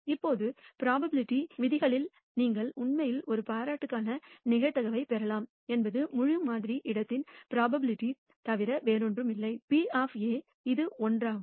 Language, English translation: Tamil, Now from the rules of probability you can actually derive the probability of a compliment is nothing but the probability of the entire sample space minus the probability of A, which is one